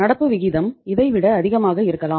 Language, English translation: Tamil, Current ratio can be more than this